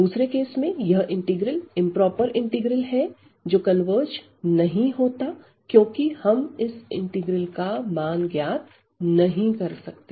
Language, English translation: Hindi, In the second case this integral the improper integral does not converge because we cannot evaluate this integral, ok